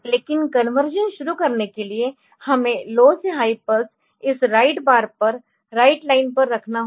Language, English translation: Hindi, But for starting the conversion so, we need to put a low to high pulse on this write bar on the write line ok